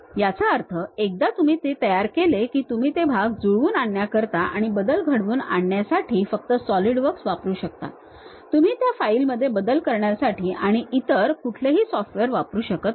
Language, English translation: Marathi, That means, once you construct that you can use only Solidworks to edit that parts and assemblies, you cannot use some other software to edit that file